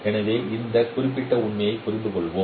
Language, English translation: Tamil, Let us take this particular example